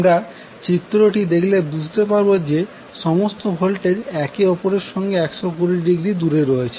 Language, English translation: Bengali, So, if you see this particular figure, all our voltages are 120 degree from each other